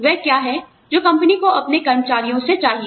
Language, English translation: Hindi, What is it that, the company needs, from its employees